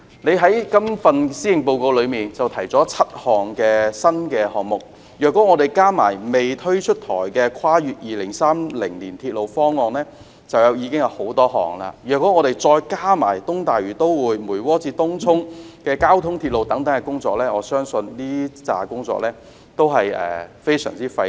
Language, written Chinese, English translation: Cantonese, 特首在今年施政報告中提出了7個新項目，如果加上未出台的跨越2030年鐵路方案，就已經有很多項；若再加上東大嶼都會，梅窩至東涌的交通鐵路等工程，我相信這批工作都是非常費力。, The Chief Executive has proposed seven new projects in this years Policy Address and there should be even more if we also count the projects under the Railways beyond 2030 which have yet to be introduced . Together with the East Lantau Metropolis the Mui Wo - Tung Chung transport railway and other projects I believe that considerable efforts will be required